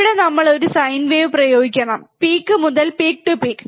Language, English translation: Malayalam, Here we have to apply a sine wave, right peak to peak to peak, right